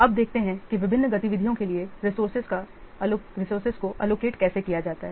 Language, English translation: Hindi, Now let's see how to allocate the resources to different activities